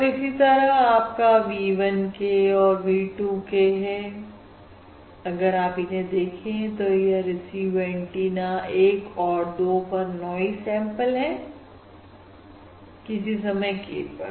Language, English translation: Hindi, basically, if you look at v 1 k and um v 2 k, there is the noise samples on receive antennas 1 and 2 at time instant k